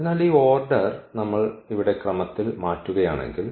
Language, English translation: Malayalam, So, this order if we change for instance the order here